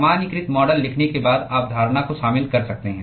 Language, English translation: Hindi, You could incorporate the assumption after you write the generalized model